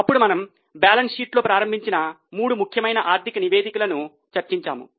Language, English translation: Telugu, Then we went on to discuss three important financial statements